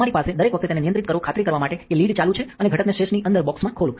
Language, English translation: Gujarati, So, that you have every time you handle it make sure that the lid is on and have the component open the box inside sash